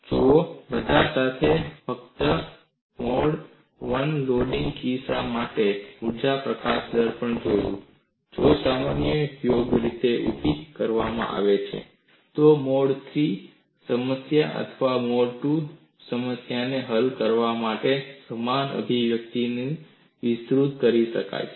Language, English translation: Gujarati, See, all along we have only looked at the energy release rate for the case of mode 1 loading; a similar approach could be extended for solving even a mode 3 problem or mode 2 problem, if the problem is post property